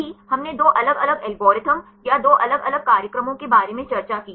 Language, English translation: Hindi, Right now, we discussed about two different algorithms or the two different programs